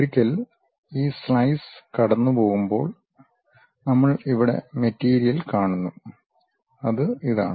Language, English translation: Malayalam, And, once this slice is passing through that we see a material here, that is this